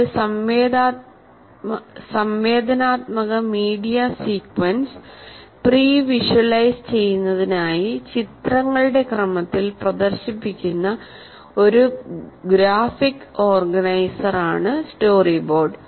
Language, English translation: Malayalam, A story board is a graphic organizer in the form of illustrations are images displayed in sequence for the purpose of pre visualizing an interactive media sequence